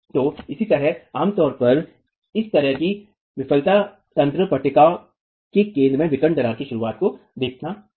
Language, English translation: Hindi, So, similarly here, typically this sort of a failure mechanism sees the onset of diagonal cracks at the center of the panel